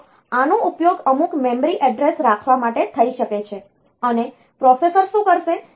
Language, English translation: Gujarati, So, this can be used to hold some memory address, and what the processor will do